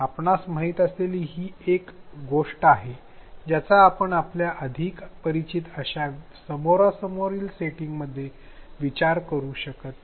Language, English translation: Marathi, You know that this is something that we cannot think of in a more familiar face to face setting